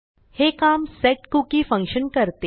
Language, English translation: Marathi, You do this by using the setcookie function